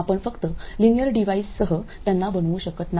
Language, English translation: Marathi, You just can't make them with only linear devices